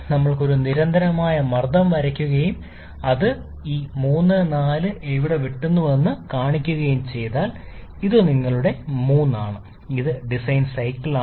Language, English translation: Malayalam, If we draw a constant pressure line and see where it cuts this 3 to 4 line, this is your 3 prime which is the Diesel cycle